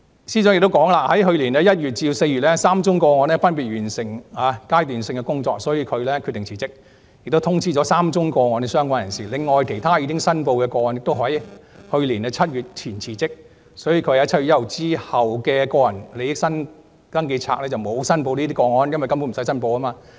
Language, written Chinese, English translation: Cantonese, 司長又指出，在去年1月至4月 ，3 宗個案分別完成階段性的工作，所以她決定辭職，並已通知3宗個案的相關人士，另外其他已申報的個案均在去年7月1日前辭職，所以她在7月1日之後的個人利益登記冊上沒有申報有關個案，因為根本無須申報。, The Secretary for Justice also pointed out from January to April last year she resigned from three cases that were close to completion and had notified the relevant parties concerned . In addition she had resigned from other declared cases before 1 July last year . Consequently she did not declare the cases in the Register of Members Interests after July 1 because there was nothing to declare